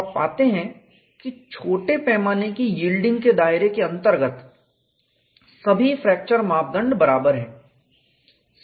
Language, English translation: Hindi, So, you find within the confines of small scale yielding, all fracture parameters are equal